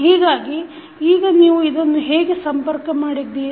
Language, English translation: Kannada, So now, you have connected this